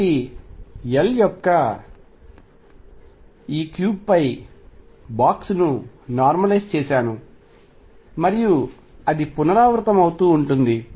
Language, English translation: Telugu, So, I have box normalized over this cube of size L and then it keeps repeating and so on